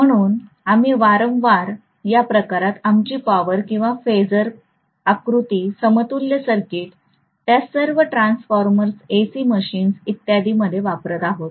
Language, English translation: Marathi, So we will be repeatedly using in these form getting our power or phasor diagram equivalence circuit, all of them in transformers, AC machines and so on